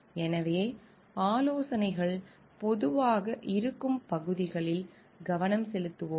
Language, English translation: Tamil, So, we will focus into areas in which consultancies are common